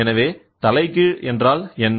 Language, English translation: Tamil, So, what is an inverse